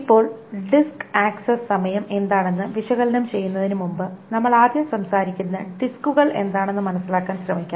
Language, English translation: Malayalam, Now before we analyze what the disk access time are, let us first try to understand what the disks are, magnetic disks that we will be talking about